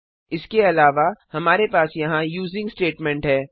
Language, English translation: Hindi, Also we have the using statement here